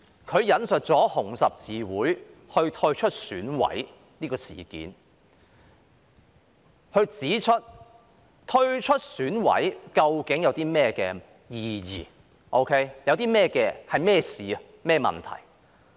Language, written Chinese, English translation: Cantonese, 他引述香港紅十字會退出選舉委員會的事件，指出退出選委會究竟有何意義或是甚麼一回事。, He cited the incident of the withdrawal from the Election Committee EC by the Hong Kong Red Cross HKRC and pointed out the meaning of withdrawal from EC or what it is all about . Let me broadly quote his words